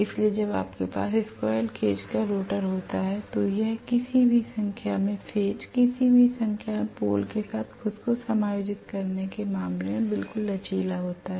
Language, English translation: Hindi, So rotor then you have squirrel cage rotor it is absolutely flexible, absolutely flexible in terms of adjusting itself to any number of phases, any number of poles